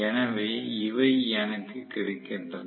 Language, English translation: Tamil, So, these are available with me